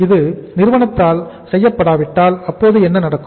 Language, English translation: Tamil, If it is not being done by the company what will happen in that case